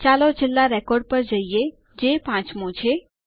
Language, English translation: Gujarati, Let us go to the last record which is the fifth